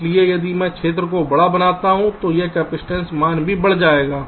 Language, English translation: Hindi, so if i make the area larger, this capacitance value will also become larger, so this delay will also increase